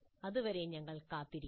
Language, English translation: Malayalam, Until then we will wait